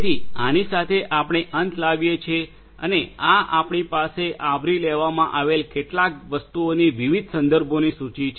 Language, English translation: Gujarati, So, with this we come to an end and we have this list of different references of certain things that we have covered